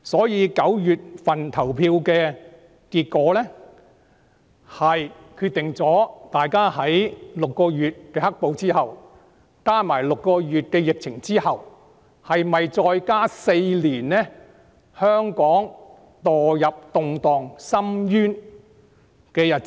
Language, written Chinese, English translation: Cantonese, 因此 ，9 月立法會選舉的結果將決定大家在經過6個月的"黑暴"、加上6個月的疫情後，會否要香港再經歷4年墮入動盪深淵的日子。, For this reason the results of the Legislative Council election in September will determine after getting through the black - clad violence for six months and the epidemic for another six months whether Hong Kong will have to live through four more years in the abyss of upheaval